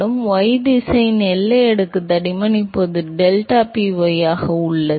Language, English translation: Tamil, So, y direction scales as the boundary layer thickness now deltaPy